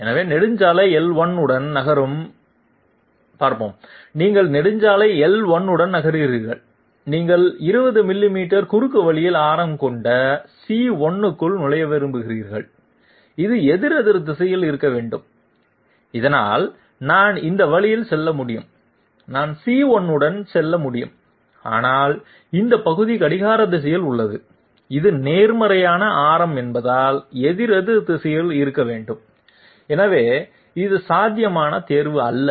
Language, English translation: Tamil, So let s see, moving along Highway L1, you are moving along Highway L1, you want to enter into C1 with a radius of 20 millimeters shortcut and this has to be counterclockwise, so that is fine I can go this way and I can go along C1, but this part is clockwise, this has to be counterclockwise because it is positive, so this is not a possible choice